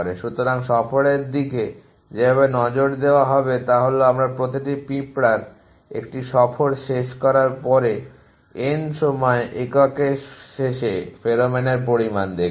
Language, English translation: Bengali, So, the way will be look at tour is that we will look at the amount of pheromone at the end of N time units after each ants constructs a tour